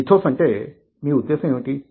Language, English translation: Telugu, what do you mean by ethos